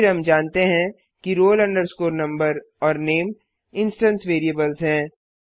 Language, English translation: Hindi, Then the only roll number and name we know are the instance variables